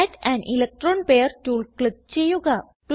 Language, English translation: Malayalam, Click on Add an electron pair tool